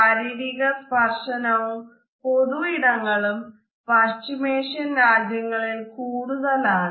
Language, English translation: Malayalam, Physical contact and public spaces is more common than Middle Eastern countries